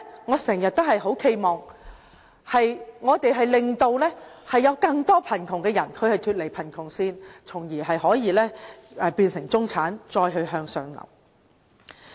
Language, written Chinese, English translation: Cantonese, 我經常企盼我們令更多貧窮人士脫離貧窮線，從而變成中產，再向上流。, It is always my hope that we can lift more people above the poverty line so that one day they become members of the middle class and are able to further move up the social ladder